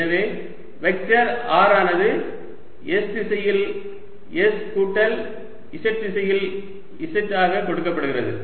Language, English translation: Tamil, so the vector r is given as s in s direction plus z in z direction